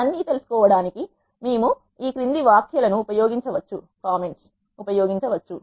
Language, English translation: Telugu, We can use the following comments to know all of this